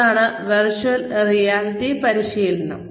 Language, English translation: Malayalam, And, that is virtual reality training